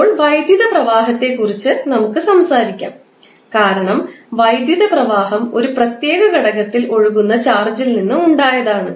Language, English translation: Malayalam, Now, let us talk about the electric current, because electric current is derived from the charge which are flowing in a particular element